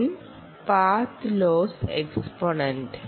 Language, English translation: Malayalam, n is what path loss exponent